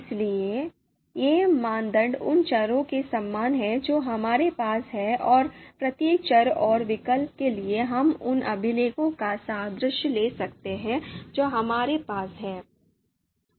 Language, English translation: Hindi, So these criteria is very akin to you know the variables that we have and you know for each variables and the alternatives we can you know take analogy of records that we have